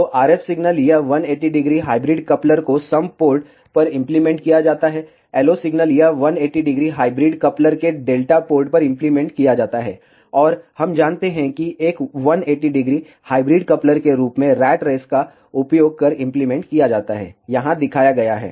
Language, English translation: Hindi, So, RF signal is applied at the sum port of this 180 degree hybrid coupler, the LO signal is applied at the delta port of this 180 degree hybrid coupler, and we know that a 180 degree hybrid coupler is implemented using a as shown over here